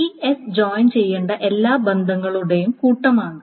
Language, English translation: Malayalam, So this is the set of all relations that needs to be joined which is S